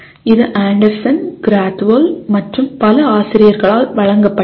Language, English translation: Tamil, It is presented by Anderson, Krathwohl and several other authors